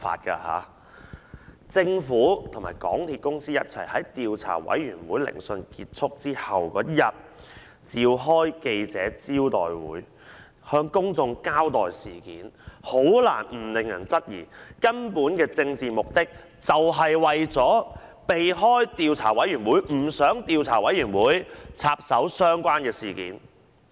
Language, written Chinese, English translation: Cantonese, 政府聯同港鐵公司在調查委員會聆訊結束後翌日召開記者招待會，向公眾交代事件，很難不令人質疑，根本的政治目的是為了避開調查委員會，不想調查委員會插手相關的事件。, The Government and MTRCL held a joint press conference the next day after the end of the hearings of the Commission to give an account of this incident to the public . It is very difficult not to arouse suspicions that the political purpose was to evade investigation by the Commission into the incident